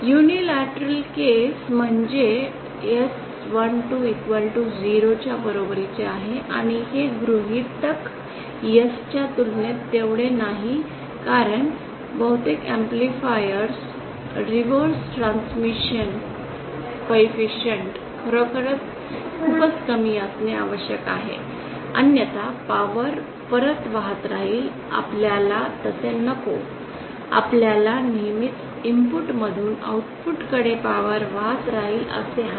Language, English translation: Marathi, Unilateral case means S12 is equal to 0 and this assumption is not that par to S because most amplifiers the reverse transmission coefficient is indeed very low it has to be low otherwise power will keep flowing back we don’t want that we want power to always flow from input to Output